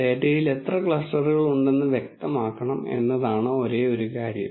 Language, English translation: Malayalam, The only thing is we have to specify how many clusters that are there in the data